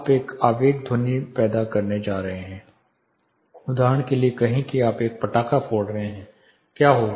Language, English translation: Hindi, You are going to create impulsive sound, say for example you are busting a cracker what would happen